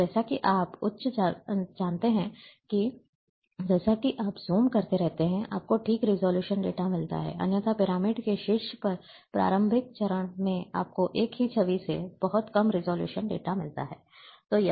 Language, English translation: Hindi, And as you go high, as you keep zooming, you get the fine resolution data, otherwise at the top of the pyramid; at the initial stage you get very low resolution data, from the same image